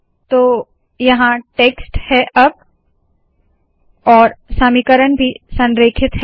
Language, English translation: Hindi, So here is the text and you also have the equations aligned